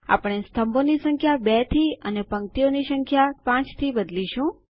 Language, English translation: Gujarati, We will change the Number of columns to 2 and the Number of rows to 5